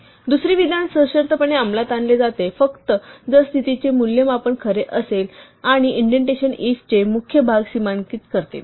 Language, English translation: Marathi, The second statement is executed conditionally, only if the condition evaluates to true and indentation demarcates the body of the 'if'